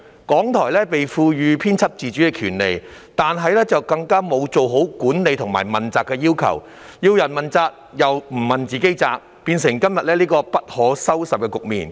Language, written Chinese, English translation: Cantonese, 港台獲賦予編輯自主的權利，但卻沒有達到管理和問責的要求，它每天向別人問責，自己卻缺乏問責精神，釀成今天這個不可收拾的局面。, RTHK is empowered to exercise editorial independence but it has failed to meet the requirements in respect of its management and accountability . While trying every day to hold others accountable it has shown no spirit of accountability at all thus resulting in such an unmanageable situation today